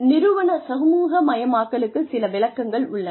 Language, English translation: Tamil, Some definitions of organizational socialization